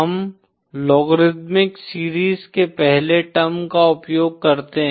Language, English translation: Hindi, We use the first term of the logarithmic series